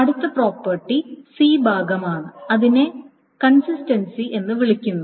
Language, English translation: Malayalam, The next property is the C part which is called the consistency